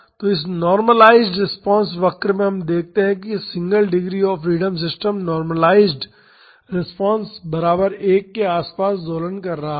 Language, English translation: Hindi, So, in this normalized response curve we can see that this single degree of freedom system is oscillating about the normalized response equal to 1